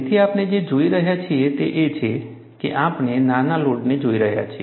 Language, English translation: Gujarati, So, what we are looking at is, we are looking at, after the smaller load